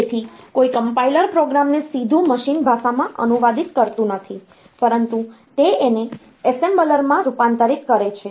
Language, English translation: Gujarati, So, no compiler translates a program directly to machine language, it converts it into the assembler